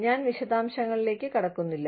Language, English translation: Malayalam, I will not get into the details